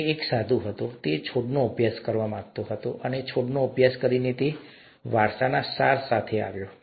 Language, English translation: Gujarati, He was a monk, he wanted to study plants, and by studying plants, he came up with the essence of inheritance